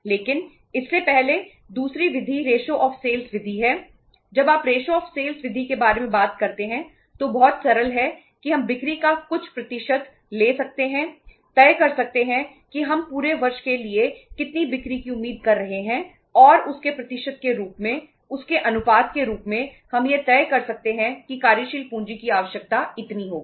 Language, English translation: Hindi, When you talk about the ratio of sales method, is very simple that we can take we could decide certain percentage of the sales that how much sales we are expecting to make for the for the whole of the year and as a percentage of that as a ratio of that we can decide that this much will be the working capital requirement